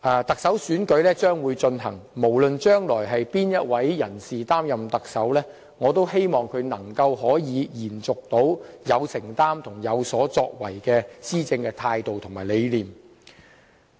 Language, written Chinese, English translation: Cantonese, 特首選舉即將舉行，無論將來是哪位人士擔任特首，我也希望他能夠延續有承擔和有所作為的施政態度和理念。, The Chief Executive election will take place in no time and no matter who is to assume the office of Chief Executive I do hope that he or she can maintain a committed attitude and carry on with the governance philosophy of making a difference in policy implementation